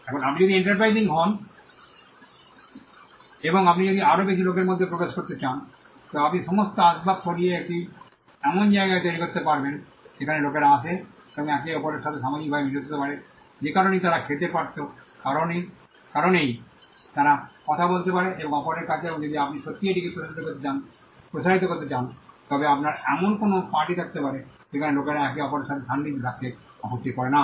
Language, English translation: Bengali, Now, if you get more enterprising and if you want to get in more people into it you can remove all furniture and make it into a place where people come and generally socialize with each other, for whatever reason you could they could eat they could talk to each other and if you really want to stretch this forward you could have some kind of a party where people do not mind being at close proximity with each other